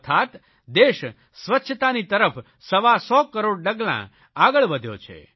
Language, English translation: Gujarati, This means that the country has taken 125 crore steps in the direction of achieving cleanliness